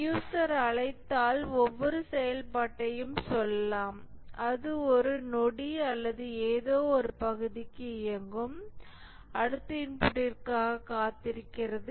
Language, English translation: Tamil, If the user invokes, let's say, each function, it runs for a fraction of a second or something and waits for the next input